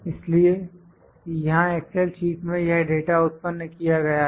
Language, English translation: Hindi, So, this data is produced here in the excel sheet